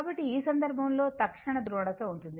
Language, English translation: Telugu, So, in this case, instantaneous polarity will be there